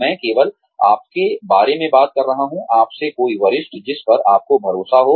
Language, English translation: Hindi, I am only talking about, somebody senior to you, who you trust